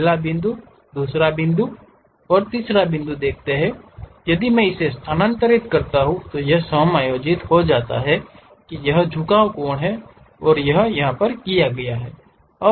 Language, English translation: Hindi, First point, second point, you see third point if I am moving it adjusts it is inclination angle and done